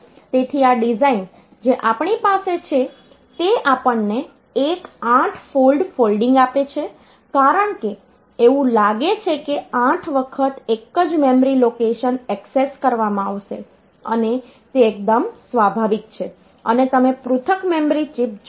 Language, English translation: Gujarati, So, this design that we have, so this gives us one 8 fold folding because it is as if for 8 times the same memory location will be accessed and that is quite natural you see that individual memory chips